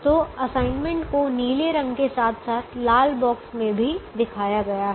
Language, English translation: Hindi, so the assignments are shown in the blue color as well as in the red box